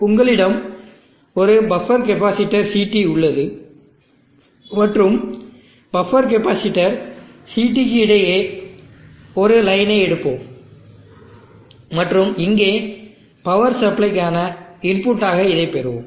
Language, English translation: Tamil, You have above the capacitor CT and across the buffer capacitor CT let us tap of a line, and let us draw the input for the power supply from here